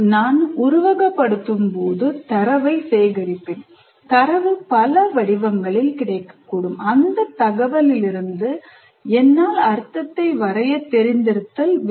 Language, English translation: Tamil, That means, when I simulate, I will collect the data and the data may be available in various forms and I should be able to draw meaning from that information and communicate that information to others in a meaningful way